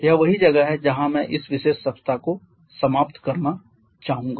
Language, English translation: Hindi, But in that that is where I would like to finish this particular week